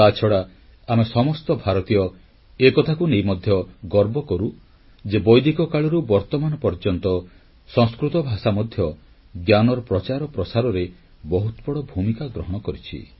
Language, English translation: Odia, We Indians also feel proud that from Vedic times to the modern day, Sanskrit language has played a stellar role in the universal spread of knowledge